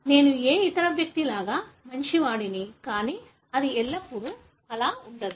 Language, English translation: Telugu, I am as good as any other person, but that is not always the case